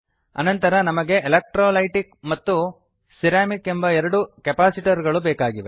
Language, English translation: Kannada, Next we need two capacitors, electrolytic and ceramic